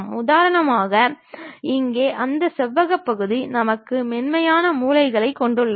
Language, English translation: Tamil, For example, here that rectangular portion we have a smooth corners